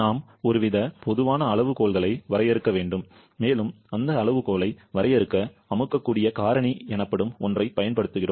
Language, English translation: Tamil, We have to define some kind of common criterion and to define that criterion; we use something known as the compressibility factor